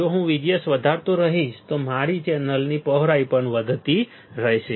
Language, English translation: Gujarati, If I keep on increasing VGS my channel width will also keep on increasing right